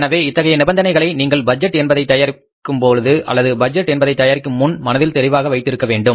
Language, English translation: Tamil, So, those conditions should be very clear in your mind while preparing the budget or before preparing the budget